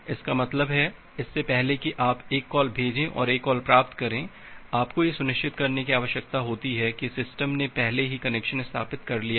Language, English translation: Hindi, That means, before you have made a send call and a receive call, you need to ensure that well the system has already established the connection